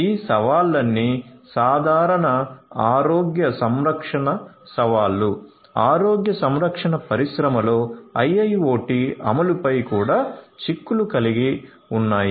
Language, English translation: Telugu, So, all of these challenges the generic healthcare challenges also have implications on the IIoT implementations in the healthcare industry